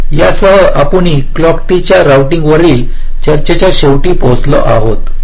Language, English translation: Marathi, we come to the end of a discussion on clock tree routing